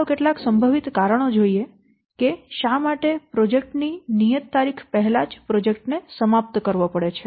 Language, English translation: Gujarati, Let's see some of the possible reasons why we have to prematurely terminate the project before its due date